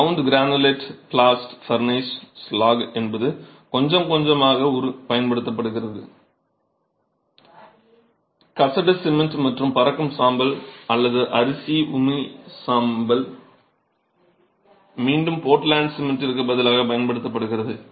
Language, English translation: Tamil, Ground granulated blast furnace slag is something that is used quite a bit, slag cement and fly ash or rice husk ash rh , is again something that is used in replacing portland cement